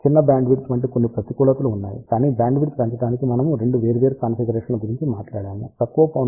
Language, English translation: Telugu, There are certain disadvantages such as small bandwidth, but we talked about 2 different configurations to increase the bandwidth, it has the disadvantage of higher size at lower frequency